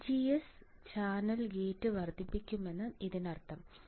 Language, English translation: Malayalam, So, when this means that VGS increases channel gate also increases correct